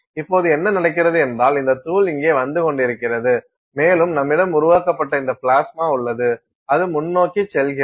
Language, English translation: Tamil, So now, what happens is you have this powder that is coming down here and you have this plasma that is being generated and the plasma goes forward